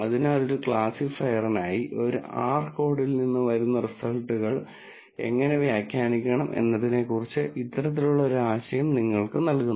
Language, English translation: Malayalam, So, this kind of, gives you an idea of how to interpret the results that come out of, a R code, for a classifier